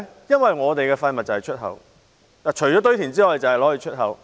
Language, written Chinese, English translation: Cantonese, 因為我們的廢物除了堆填之外，只會出口。, It was because our waste would only be exported if not dumped in landfills